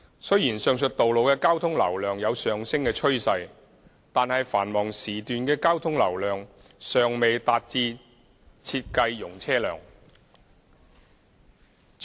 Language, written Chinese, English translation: Cantonese, 雖然上述道路的交通流量有上升趨勢，但繁忙時段的交通流量尚未達致設計容車量。, Although there is an upward trend for the traffic flow of the above mentioned roads the traffic flow at peak hours has not yet reached the design capacity